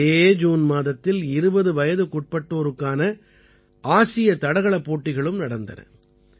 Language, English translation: Tamil, The Asian under Twenty Athletics Championship has also been held this June